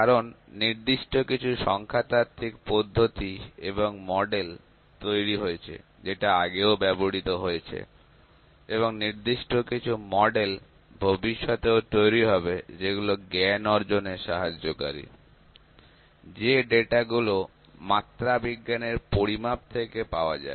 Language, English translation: Bengali, Because certain statistical methodology and models are developed which are useful which has been useful in past and certain other models are being development in future also which are useful to generate the knowledge from the data that we have obtained from metrological measurements